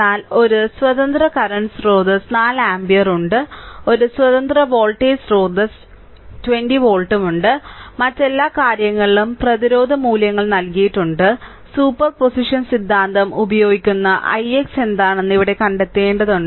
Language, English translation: Malayalam, But one independent current source is there 4 ampere and one independent voltage source is there 20 volt, all others are eh resistance values are given, we have to find out here what you call i x using superposition theorem right